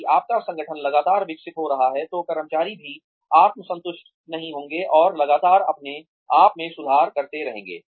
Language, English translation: Hindi, If your organization is constantly evolving, and constantly improving itself, the employees will also not become complacent